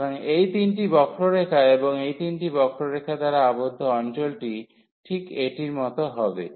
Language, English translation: Bengali, So, these 3 curves and the area bounded by these 3 curves will be precisely this one here